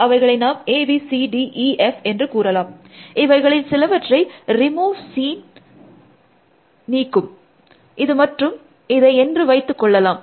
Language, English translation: Tamil, Let us call them, let say A, B, C, D, E, F then remove seen will remove some of them, let say this one and this one